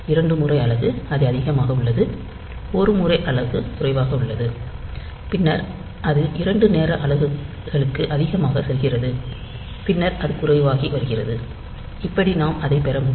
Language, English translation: Tamil, Two time unit, it is high; one time unit is low; then again it is going high for two time units; then it is becoming low, so that we can have it